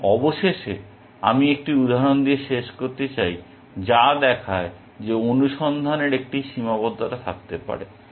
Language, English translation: Bengali, And finally, I want to end with an example, which shows that there can be a limitation to search